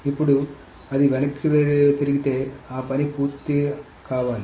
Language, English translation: Telugu, Now if that is rolled back, then all that work needs to be done